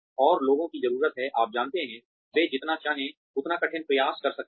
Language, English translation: Hindi, And, people need to, you know, they can try as hard as they want